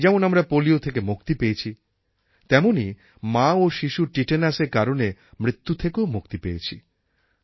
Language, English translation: Bengali, Like we became polio free similarly we became free from tetanus as a cause of maternal and child mortality